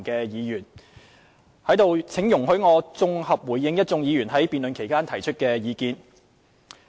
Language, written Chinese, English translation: Cantonese, 現在讓我綜合回應各位議員在辯論期間提出的意見。, I will now give a consolidated response to the views expressed by Members during the debate